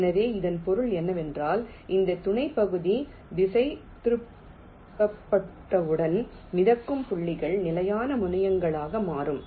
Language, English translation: Tamil, so once this sub region is routed, the floating points will become fixed terminals